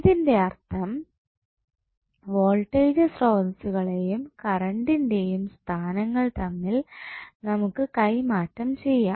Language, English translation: Malayalam, So, that means that you can exchange the locations of Voltage source and the current